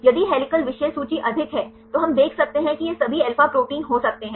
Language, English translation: Hindi, If the helical content is high then we can see this can be all alpha proteins